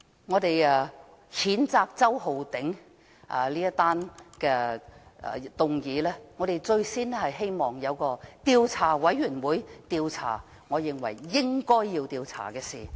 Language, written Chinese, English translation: Cantonese, 我們譴責周浩鼎議員的議案，我們希望能夠成立調查委員會，調查應該要調查的事。, Regarding the motion to censure Mr Holden CHOW we hope that an investigation committee can be set up to investigate what should be investigated